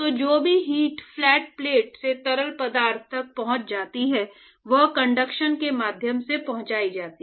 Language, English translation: Hindi, So, whatever heat that is actually transported from the flat plate to the fluid is transported via conduction right